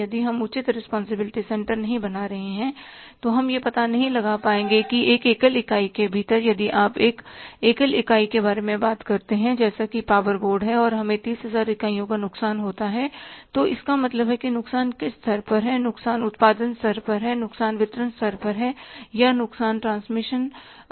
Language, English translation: Hindi, If we are not creating the proper responsibility centers then we won't be able to find out that within one single entity if you talk about the one single entity that is a power board and we have a loss of the 30,000 units, it means at what level the loss is at the generation level, loss is at the distribution level or the loss is at the transmission level